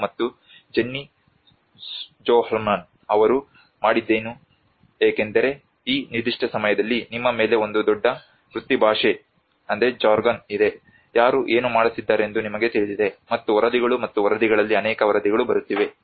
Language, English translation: Kannada, And Jennie Sjoholm what she did was because in this particular point of time there is a huge jargon on you know who is doing what and there are many reports coming on reports and reports